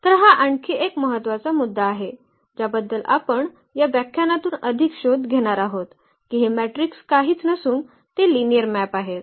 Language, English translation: Marathi, So, this is another important point which we will be exploring further in this lecture that this matrices are nothing but they are linear map